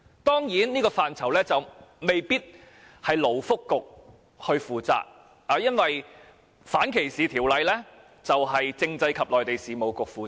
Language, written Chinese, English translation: Cantonese, 當然，這範疇未必是由勞福局負責的，因為反歧視條例是由政制及內地事務局負責的。, Of course this policy area may not be within the ambit of the Labour and Welfare Bureau because anti - discrimination legislation falls within the ambit of the Constitutional and Mainland Affairs Bureau the Bureau